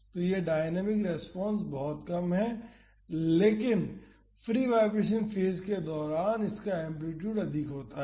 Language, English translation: Hindi, So, this dynamic response is very low, but during the free vibration phase this is having a higher amplitude